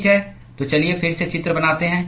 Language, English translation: Hindi, Okay, so let us draw the picture again